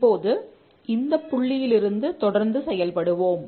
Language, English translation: Tamil, Now let's proceed from that point